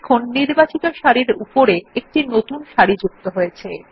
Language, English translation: Bengali, We see that a new row gets inserted just above the selected row